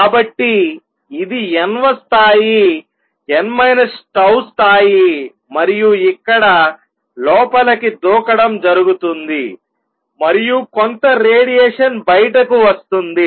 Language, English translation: Telugu, So, this is nth level n minus tau level and here is this jump coming in and some radiation comes out